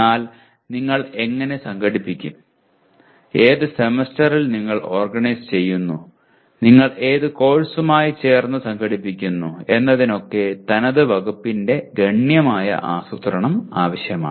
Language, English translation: Malayalam, But how do you organize, in which semester you organize, along with what course you organize, this requires considerable planning by the department